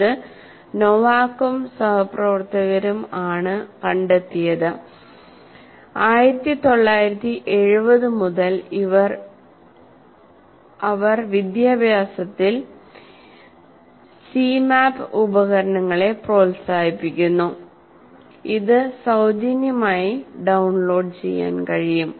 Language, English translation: Malayalam, And this was due to Novak and his associates and right from 1970s onwards they have been promoting this in education and you have a free tool called Cmap 2, C map tools and it can be downloaded free